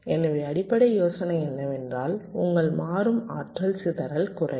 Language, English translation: Tamil, so over all, your dynamic power dissipation will decrease